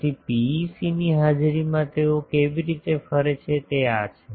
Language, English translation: Gujarati, So, this is a in presence of PEC how they are radiating